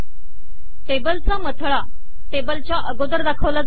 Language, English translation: Marathi, Table caption is put before the table